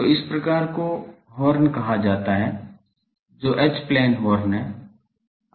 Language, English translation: Hindi, So, the first of that type is called a Horn, which is a H plane Horn